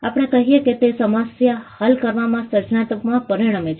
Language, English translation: Gujarati, We say that it results in creativity in solving a problem